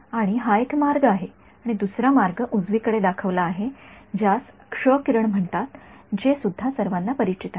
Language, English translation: Marathi, And that is one way and the other way is shown on the right is what is called an X ray which is also something you are all familiar with right